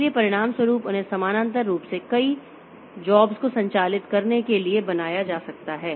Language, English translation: Hindi, So, as a result, they can be made to operate at a, they can be made to do many jobs parallelly